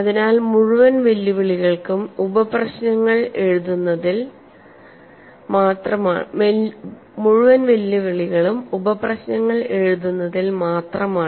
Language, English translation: Malayalam, So the whole challenge lies in writing out the sub problems